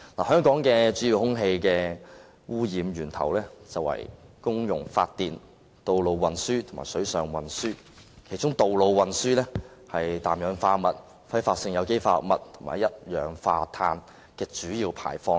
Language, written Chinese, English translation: Cantonese, 香港的主要空氣污染源頭是公用發電、道路運輸和水上運輸，其中道路運輸是氮氧化物、揮發性有機化合物和一氧化碳的主要排放源。, Regrettably it seems the Environment Bureau has not done much work in this aspect . The main sources of air pollution in Hong Kong are public electricity generation road transport and marine transport . Among them road transport is the main emitter of nitrogen oxide volatile organic compounds and carbon monoxide